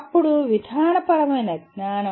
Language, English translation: Telugu, Then procedural knowledge